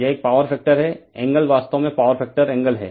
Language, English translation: Hindi, This is a power factor angle actually difference is the power factor angle